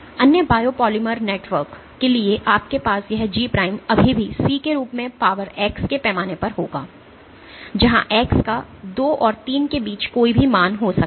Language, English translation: Hindi, For other biopolymer networks you might have this G prime will still scale as C to the power x where x can have any value between 2 and 3 ok